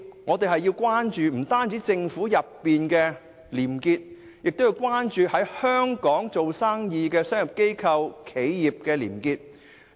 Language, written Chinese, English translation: Cantonese, 我們不單要關注政府內部的廉潔，亦要關注在香港做生意的商業機構和企業的廉潔。, We should not only show concern about probity in government but also probity in commercial organizations and enterprises doing business in Hong Kong